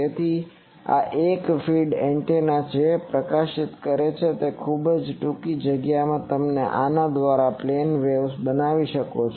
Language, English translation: Gujarati, So, this is a feed antenna which is illuminating and within a very short space you can create plane waves by this